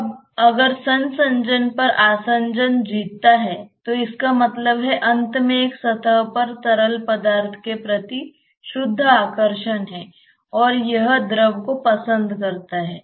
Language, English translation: Hindi, Now, if the adhesion wins over the cohesion then that means, the surface at the end has a net attraction towards the fluid and it likes the fluid